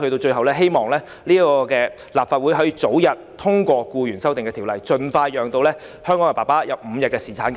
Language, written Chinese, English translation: Cantonese, 最後，我希望立法會能早日通過《條例草案》，盡快讓香港的父親享有5天侍產假。, Last but not least I hope the Legislative Council can expeditiously pass the Bill so that parents in Hong Kong can be entitled to paternity leave of five days as early as possible